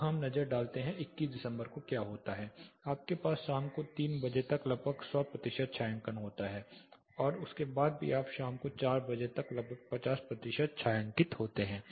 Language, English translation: Hindi, Now take a look at what happens on December 21st you have almost 100 percent shading up to 3 o clock in the evening even after that you have about 50 percent shaded till 4 o'clock in the evening